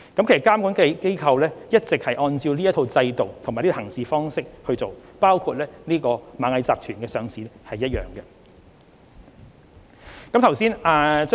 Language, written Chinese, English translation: Cantonese, 其實，監管機構一直按照這套制度和行事方式工作，處理螞蟻集團的上市申請時亦然。, In fact the regulatory authorities have all along followed this set of regimes and practices in performing their functions and they had done the same in handling the listing application of Ant Group